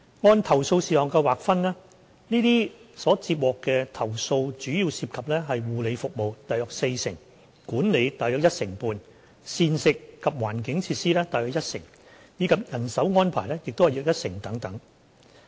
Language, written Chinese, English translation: Cantonese, 按投訴事項劃分，上述所接獲的投訴主要涉及護理服務、管理、膳食及環境設施，以及人手安排等。, In terms of subject matter the above complaints received mainly involved care services about 40 % management about 15 % meals environment and facilities about 10 % and manpower arrangements about 10 % etc